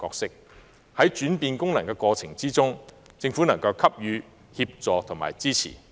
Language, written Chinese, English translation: Cantonese, 在這轉換過程中，希望政府能夠給予協助和支持。, I hope the Government will assist and support TIC in its change of roles